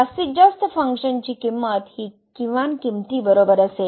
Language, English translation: Marathi, So, the maximum value is equal to the minimum value